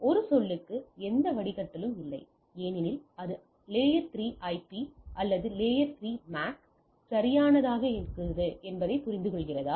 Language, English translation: Tamil, So, it has does not have any filtering per say because whether it understand layer 3 IP, or layer 2 MAC right